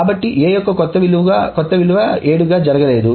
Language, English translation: Telugu, So that A, the new value 7 has not gone through A